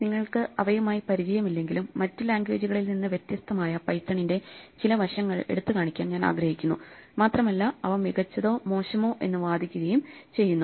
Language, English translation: Malayalam, Though you may not be familiar with them, I would like to highlight some aspects of Python which are different from other languages and also argue whether they are better or worst